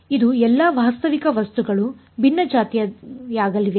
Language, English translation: Kannada, So, this is all realistic objects are going to be heterogeneous